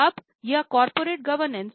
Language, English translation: Hindi, So, what is corporate governance